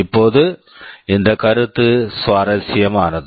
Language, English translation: Tamil, Now this concept is interesting